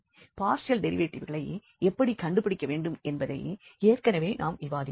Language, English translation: Tamil, So, we have already discussed how to find the partial derivatives